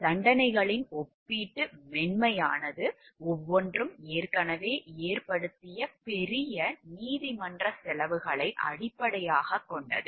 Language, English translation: Tamil, The relative leniency of the sentences was based partly on the large court costs each had already incurred